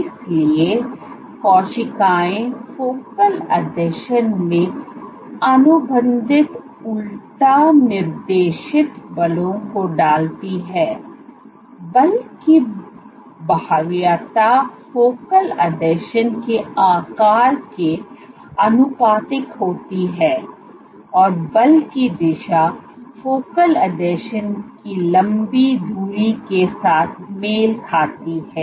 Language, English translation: Hindi, So, cell exert contractile invert directed forces at focal adhesions, the magnitude of the force is proportional to the size of the focal adhesion and the direction of the force coincides with the long axis of the focal adhesions